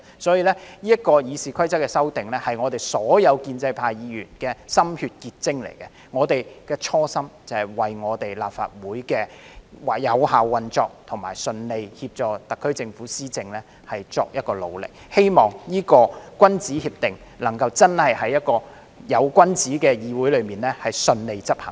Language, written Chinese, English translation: Cantonese, 所以，是次《議事規則》的修訂是所有建制派議員的心血結晶，我們的初心是為立法會的有效運作和順利協助特區政府施政作努力，希望這個君子協定能真的在一個有君子的議會裏順利執行。, I am merely the spokesperson . Therefore the amendments made to RoP in this exercise are the fruit of the hard work of all Members from the pro - establishment camp . Our original intention is to work for the effective operation of the Legislative Council and the smooth governance of the SAR Government in the hope that this gentlemens agreement can be implemented smoothly in a legislature with the presence of gentlemen